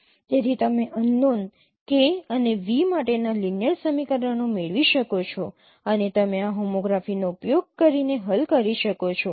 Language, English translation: Gujarati, So you can get linear equations for unknowns K and V and that you can solve using this home graph